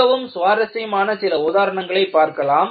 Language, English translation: Tamil, And, let us look at some of the interesting examples